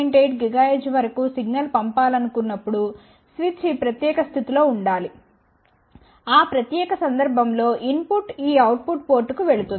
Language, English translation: Telugu, 8 gigahertz then switch should be on in this particular position in that particular case input will go to this output port then